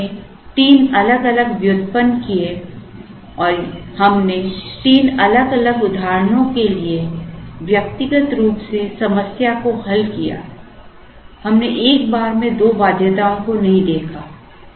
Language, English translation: Hindi, And, we derived three different or we solved the problem for three different instances individually, we did not look at two constraints at a time